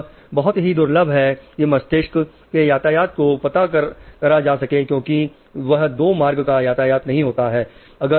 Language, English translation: Hindi, It is very rare to find brain traffic that is not 2 way